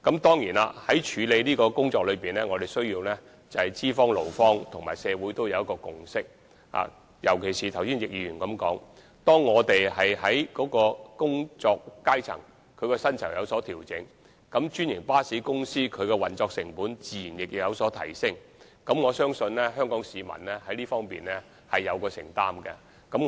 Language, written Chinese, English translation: Cantonese, 當然，在處理這項工作時，資方、勞方和社會均須達成共識，尤其是正如易議員剛才所說，當調整薪酬時，專營巴士公司的運作成本自然有所提升，我相信香港市民在這方面是有承擔的。, Certainly in handling this issue it is necessary for employers employees and the community to reach a consensus and particularly as Mr YICK said earlier on following an adjustment to the salaries the operational cost of the franchised bus companies will naturally rise and I believe the people of Hong Kong are prepared to make a commitment for this